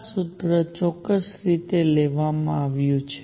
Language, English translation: Gujarati, This formula is derived in an exact manner